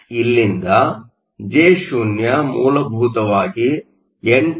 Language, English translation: Kannada, So, from here Jo is essentially 8